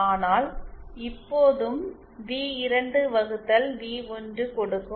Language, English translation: Tamil, But still this v2 upon v1 gives